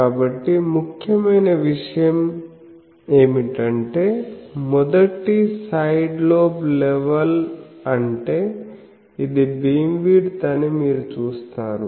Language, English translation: Telugu, So, important thing is what is a 1st side lobe level, you see this is beam width